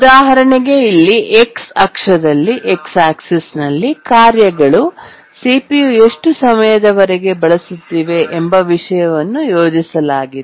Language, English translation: Kannada, On the x axis here we have plotted the tasks that are using CPU and for how long they are using the CPU